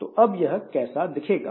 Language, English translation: Hindi, Now, how do they look like